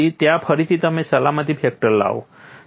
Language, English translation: Gujarati, There again you bring in a safety factor